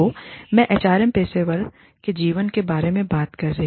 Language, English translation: Hindi, So, I am talking about, the life of HR professionals